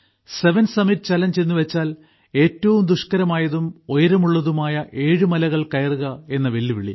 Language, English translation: Malayalam, The seven summit challenge…that is the challenge of surmounting seven most difficult and highest mountain peaks